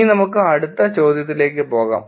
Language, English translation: Malayalam, Now let us move on to the next question